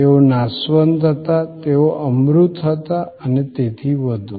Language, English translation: Gujarati, They were perishable; they were intangible and so on